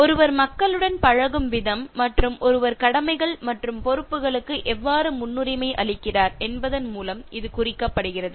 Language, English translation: Tamil, It is indicated by the way one deals with people and how one prioritizes commitments and responsibilities